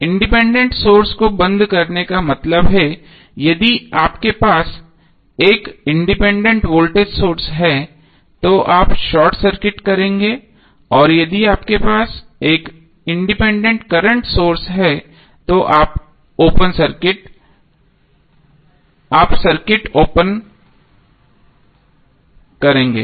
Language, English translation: Hindi, Switching off the independent source means, if you have independent voltage source you will short circuit and if you have an independent current source you will open circuit